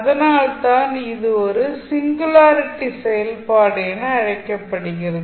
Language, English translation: Tamil, What is singularity functions